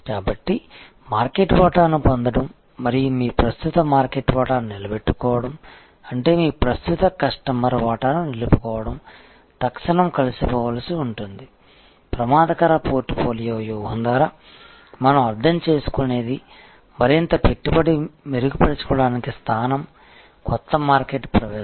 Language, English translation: Telugu, So, acquisition of market share and retaining your current market share, which means retaining your current customer share may have to go hand in hand instantly, what we mean by offensive portfolio strategy is more investment, to grow improve position, new market entry